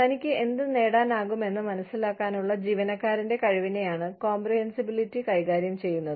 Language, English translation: Malayalam, Comprehensibility deals with, the employee's ability to understand, what he or she, can get